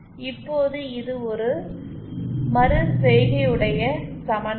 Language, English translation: Tamil, Now this is an iterative equation